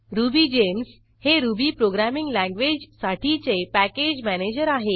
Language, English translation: Marathi, RubyGems is a package manager for Ruby programming language